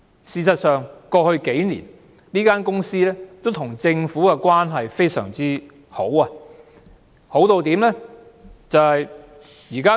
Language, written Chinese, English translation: Cantonese, 事實上，過去數年，這間公司跟政府的關係非常好，為甚麼我會這樣說呢？, In fact the company has a very good relationship with the Government over the past few years . Why do I say that?